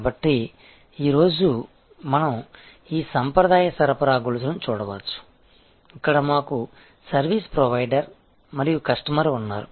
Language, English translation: Telugu, So, today first we can look at this traditional supply chain, where we have a service provider and a customer